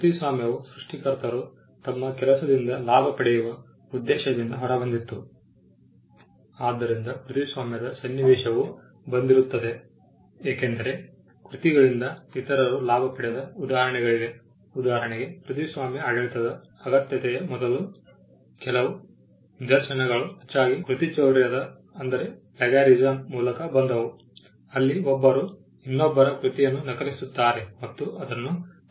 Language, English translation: Kannada, Copyright came into picture because there were instances of others profiting from these works for instance the first few instances of the need for a copyright regime came largely through plagiarism where one copies the work of another and passes it off as his own work